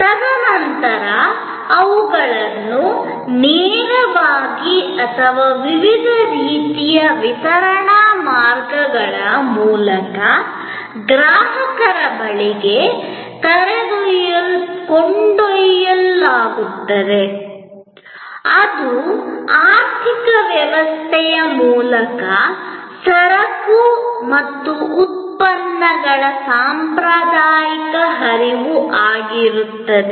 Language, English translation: Kannada, And then, they are taken to the consumer either directly or through different kinds of channels of distribution, this is the traditional flow of goods and products through the economic system